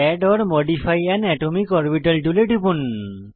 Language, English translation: Bengali, Click on Add or modify an atomic orbital tool